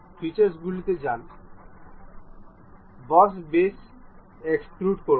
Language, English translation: Bengali, Go to features, extrude boss base